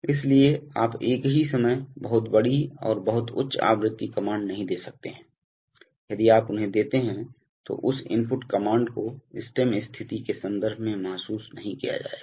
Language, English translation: Hindi, So therefore you cannot give very large and at the same time very high frequency commands, if you give them then that input command will not be realized in terms of stem position